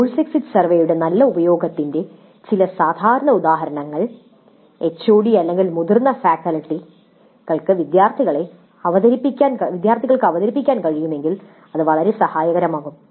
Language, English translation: Malayalam, So, some typical instances of good use of course exit survey if the HOD or if some senior faculty can present it to the students it would be very helpful